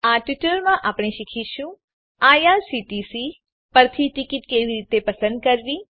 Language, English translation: Gujarati, In this tutorial we will learn How to choose a ticket at irctc